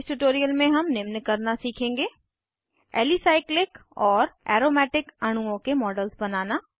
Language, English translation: Hindi, In this tutorial, we will learn to, Create models of Alicyclic and Aromatic molecules